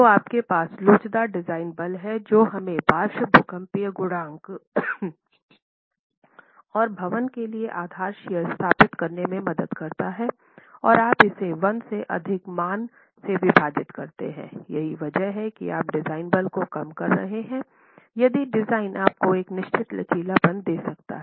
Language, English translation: Hindi, So you have the elastic design force which helps us establish the lateral seismic coefficient and the base shear for the building and you divide that by a value greater than one which is why you're reducing the design force if the system can give you a certain ductility